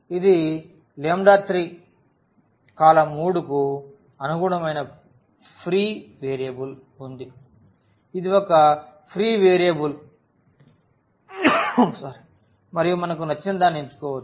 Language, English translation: Telugu, We have the free variable this lambda 3 corresponding to the column 3 it is a free variable and which we can choose whatever we like